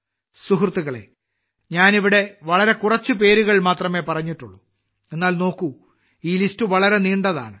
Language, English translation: Malayalam, Friends, I have mentioned just a few names here, whereas, if you see, this list is very long